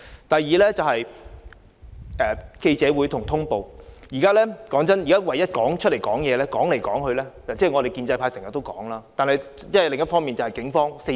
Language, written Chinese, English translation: Cantonese, 第二，在記者會和通報方面，說真的，現在唯一會走出來發言的，說來說去——我們建制派經常都公開發言——就是警方。, Secondly when it comes to press conference and information dissemination honestly the only party that will come out to speak to the public―we Members of the pro - establishment camp often make public speeches―is the Police